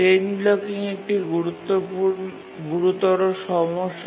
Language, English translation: Bengali, So chain blocking is a severe problem